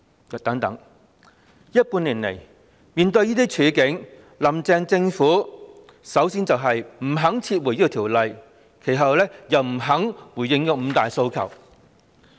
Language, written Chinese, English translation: Cantonese, 這半年來，面對這些處境，"林鄭"政府首先不肯撤回這項《條例草案》，然後又不肯回應"五大訴求"。, Faced with this situation in the past half a year the Carrie LAM Administration initially refused to withdraw the Bill and then refused to respond to the five demands